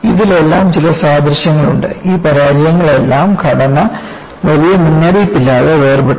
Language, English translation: Malayalam, There are certain commonalities: In all these failures,the structure, in concern got separated without much warning